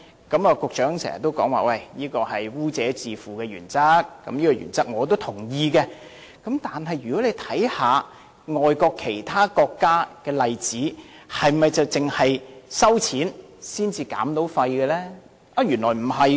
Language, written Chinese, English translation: Cantonese, 局長經常說這是基於"污者自付"的原則，我是同意這項原則的，但大家可看看其他國家的例子，是否只有收費才可減廢？, The Secretary often explains that this is based on the polluter pays principle to which I agree . But we can also draw reference from other countries . Can waste only be reduced by charging the people?